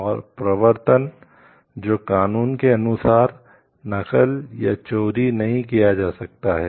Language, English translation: Hindi, And enforcement which is cannot be copied or stolen as per law